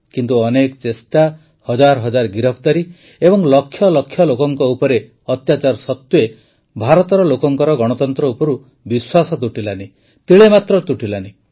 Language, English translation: Odia, But even after many attempts, thousands of arrests, and atrocities on lakhs of people, the faith of the people of India in democracy did not shake… not at all